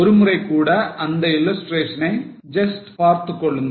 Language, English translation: Tamil, Now suppose just have a look at this illustration once again